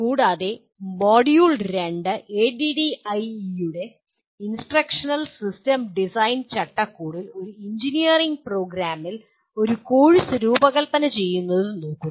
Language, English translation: Malayalam, And module 2 looks at designing a course in an engineering program in the Instructional System Design framework of ADDIE